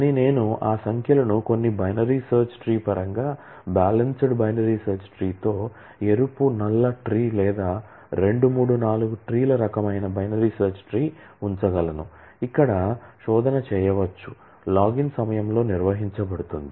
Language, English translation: Telugu, But I could keep those numbers in terms of some binary search tree, balanced binary search tree like red black tree or two three four tree kind of, where the search can be conducted in a login time